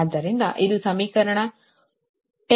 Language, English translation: Kannada, so this is equation ten